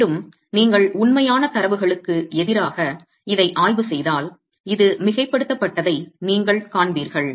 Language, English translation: Tamil, Again if you were to examine this against real data you will see that this overestimates